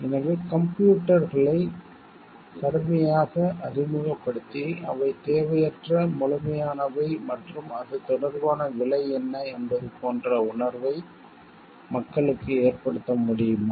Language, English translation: Tamil, So, like can we drastically introduce computers and make people feel like they are redundant absolute and what is the cost related to it